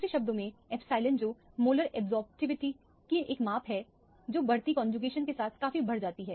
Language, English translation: Hindi, In other words, the epsilon which is a measure of the molar absorptivity that also considerably increases with increasing conjugation